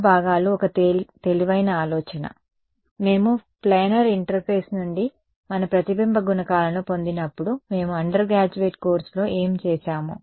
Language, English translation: Telugu, Normal components is that a wise idea, when we derive our reflection coefficients from a planar interface we did in the undergraduate course what did we do